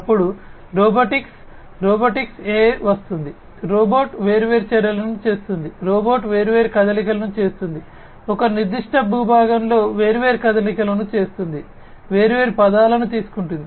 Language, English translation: Telugu, Then comes robotics AI in robotics, you know, robot performing different actions, you know robot making different moves, in a particular terrain, performing different moves, taking different trajectories, etcetera